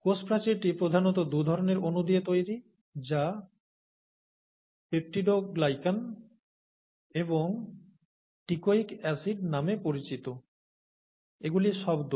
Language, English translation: Bengali, As a cell wall is predominantly made up of two kinds of molecules called ‘peptidoglycan’ and ‘teichoic acids’, okay